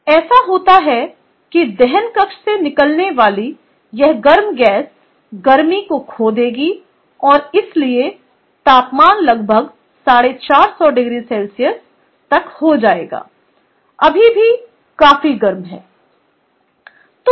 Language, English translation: Hindi, this hot gas coming out of the combustion chamber will lose heat to this fume gas and the temperature, therefore, will come down to around four fifty degree centigrade still hot enough, ok